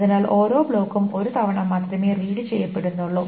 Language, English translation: Malayalam, Therefore each block is also read only once